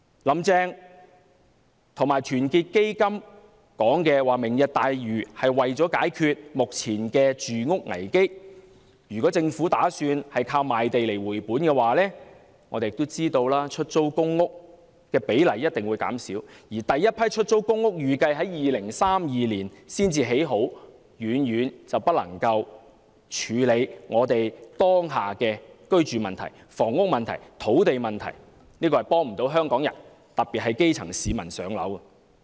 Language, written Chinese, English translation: Cantonese, "林鄭"和團結香港基金指出，"明日大嶼"是為了解決目前的住屋危機，但如果政府打算以賣地來回本，我們也知道出租公屋的比例一定會減少，而第一批出租公屋預計在2032年才落成，遠遠不能處理香港當下的居住問題、房屋問題、土地問題，因此這計劃未能幫助香港人，特別是基層市民"上樓"。, Yet if the Government plans to recover the costs through the sale of land we know that the ratio of public rental housing will definitely be lowered . Besides the first batch of public rental housing is expected to be completed by 2032 which is too distant to address the existing problems concerning accommodation housing and land in Hong Kong . Hence this programme cannot help the people of Hong Kong the grass roots in particular to secure accommodation